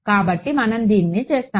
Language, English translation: Telugu, So, we will make this to be